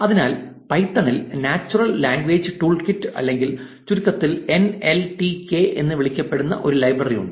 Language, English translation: Malayalam, So, in python there is a library which is called natural language tool kit or NLTK in short